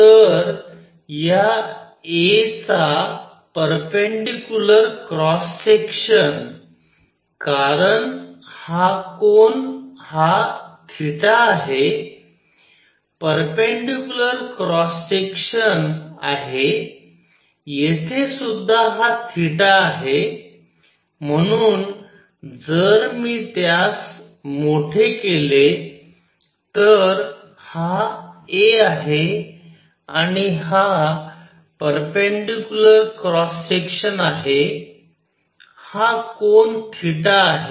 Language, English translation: Marathi, So, the perpendicular cross section of this a, because this angle is theta is this perpendicular cross section this is also theta out here, so if I make it bigger this is a and this is the perpendicular cross section this angle is theta